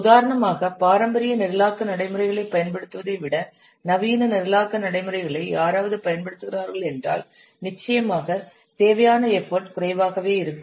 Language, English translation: Tamil, See for example if somebody is using modern programming practices rather than using the traditional programming practices, then definitely the effort required will be less